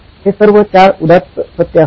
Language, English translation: Marathi, Those were four noble truths